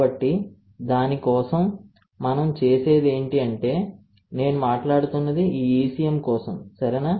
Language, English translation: Telugu, So, for that what we do is, this ECM that I was talking about, right